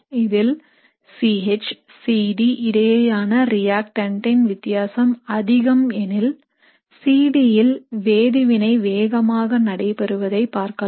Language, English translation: Tamil, So in this case, because the reactant has a large C H C D difference, you would see that the reaction goes much faster than in the case of C D